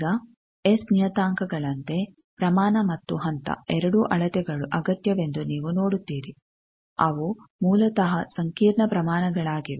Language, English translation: Kannada, Now, you see that magnitude and phase both measurements are necessary like S parameters they are basically complex quantities